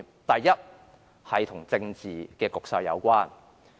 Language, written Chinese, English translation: Cantonese, 第一，與政治局勢有關。, First it has to do with the political situation